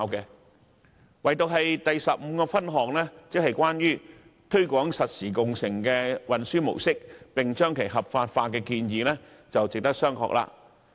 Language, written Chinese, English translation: Cantonese, 可是，唯獨其修正案第十五項，有關推廣實時共乘運輸模式，並將其合法化的建議，我認為值得商榷。, However the one proposal I found questionable in his amendment is the one in item 15 pertaining to the promotion of real - time car - sharing as a transport mode and its legalization